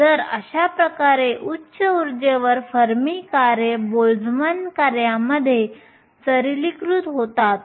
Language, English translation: Marathi, So, thus, at high energies the Fermi functions become simplified to the Boltzmann function